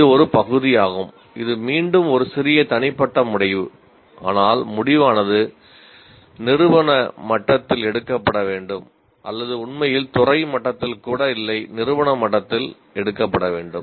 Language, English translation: Tamil, This is one part which is again it is a little subjective decision but the decision should be taken at the institute level rather than or not in fact even at department level it should be taken at the institution level